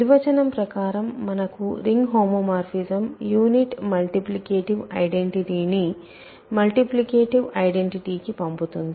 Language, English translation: Telugu, For us ring homomorphism by definition sends the unit multiplicative identity to the multiplicative identity